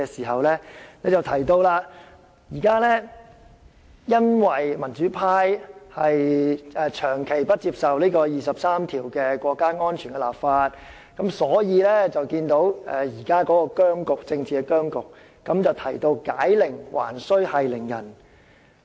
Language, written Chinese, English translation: Cantonese, 她提及現時因為民主派長期不接受就第二十三條涉及國家安全立法，所以出現現時的政治僵局，並提到解鈴還須繫鈴人。, She said the present political impasse was attributable to the democratic camps long - time resistance to the enactment of the national security law under Article 23 of the Basic Law . According to her who made the troubles should help resolve them; just like who tied the knot should untie it